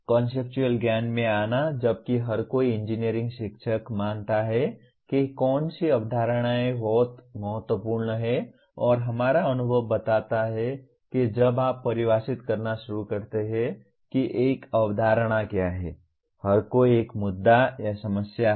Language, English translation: Hindi, Coming to the Conceptual Knowledge while everyone every engineering teacher considers what concepts are very important and our experience shows that when you start defining what a concept is everyone has an issue or a problem